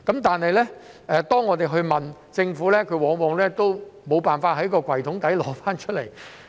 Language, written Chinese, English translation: Cantonese, 但是，當我們問政府，它往往都無法在抽屉底找出來。, But when we asked the Government about it it always reacted like it was unable to retrieve it from the bottom of the drawer